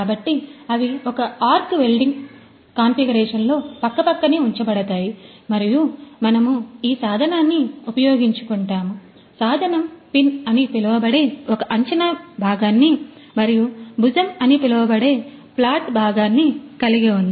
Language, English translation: Telugu, So, they are placed side by side in an arc welding configuration and we make use of this the tool, tool has got a projected part which is called the pin and the flat part which is called the shoulder ok